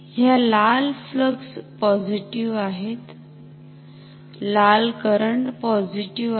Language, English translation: Marathi, These red flux is positive red current is positive